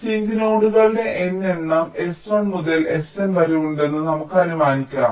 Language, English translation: Malayalam, lets assume that there are n number of sink nodes, s one to s n